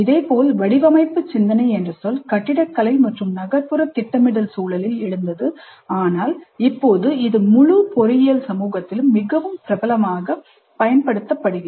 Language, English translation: Tamil, Similarly, the term design thinking arose in the context of architecture and urban planning but now it's very popularly used in the entire engineering community